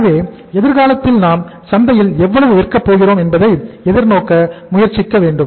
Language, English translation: Tamil, So we should try to look forward in future that how much we are going to sell in the market